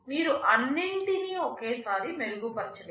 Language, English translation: Telugu, You cannot improve everything at once